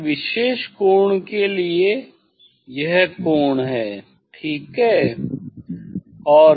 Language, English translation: Hindi, for a particular angle this is the angle ok, this is the angle